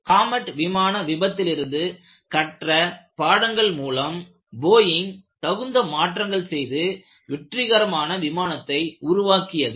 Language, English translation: Tamil, So, they took all the lessons from the Comet disaster; made suitable modifications in the Boeing; then Boeingbecome a successful airliner